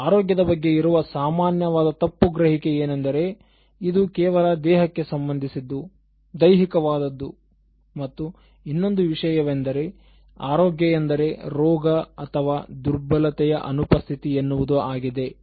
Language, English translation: Kannada, ” So, the common misperception about health is that, it is something to do with the body, only physical and the other thing is health means absence of disease or absence of some kind of infirmity